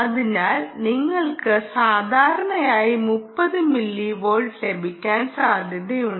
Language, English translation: Malayalam, you will get typically thirty millivolts